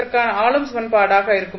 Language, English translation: Tamil, This is a linear equation